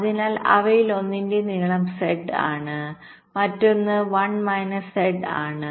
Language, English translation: Malayalam, so the length of one of them is z, other is one minus z